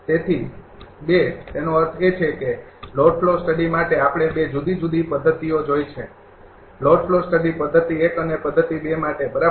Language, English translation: Gujarati, So, 2; that means, for load flow studies we have seen the 2 different 2 different methods, right for load flow studies method 1 and method 2 one thing